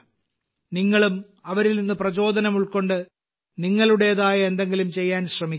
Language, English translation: Malayalam, You too take inspiration from them; try to do something of your own